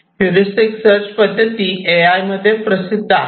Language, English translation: Marathi, So, heuristic search methods are quite popular in AI and AI for games